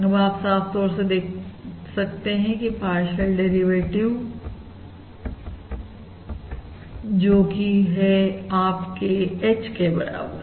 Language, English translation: Hindi, now you can clearly see that the partial derivative this is your ass of H bar